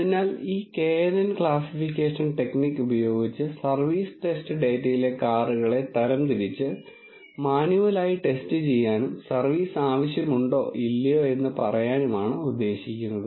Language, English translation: Malayalam, So, the idea is to use this knn classification technique to classify the cars in the service test data le which cannot be tested manually and say whether service is needed or not